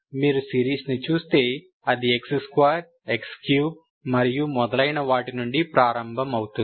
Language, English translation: Telugu, So if you look at the series, it is starting from x 2, x square, x 3 and so on, Ok